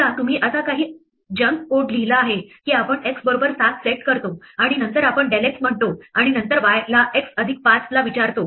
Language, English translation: Marathi, Supposing, you wrote some junk code like this we set x equal to 7 and then we say del x, and then we ask y equal to x plus 5